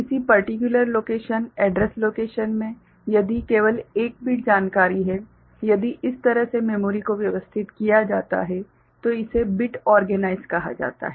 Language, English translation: Hindi, So, in a particular location, address location if only one bit information is there; if that is the way memory is organized then it is called bit organized